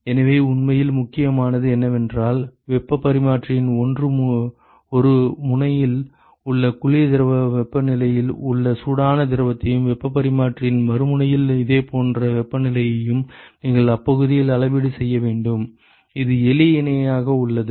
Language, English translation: Tamil, So, what really matters is that you need to measure the local, I mean, the hot fluid in the cold fluid temperatures at 1 end of the heat exchanger and a similar temperatures at the other end of the heat exchanger, this is for simple parallel and counter flow and, then you simply define the deltaT lmtd